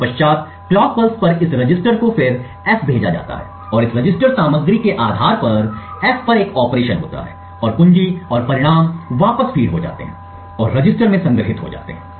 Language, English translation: Hindi, On subsequent clock cycles this register is then fed to F and there is an operation on F based on this register contents and the key and the results are fed back and stored to the register